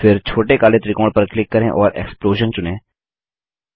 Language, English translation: Hindi, Then, click on the small black triangle and select Explosion